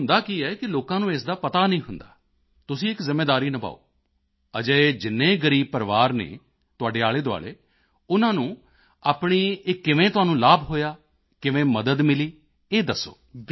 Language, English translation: Punjabi, See what happens people do not know about it, you should take on a duty, find out how many poor families are around you, and how you benefited from it, how did you get help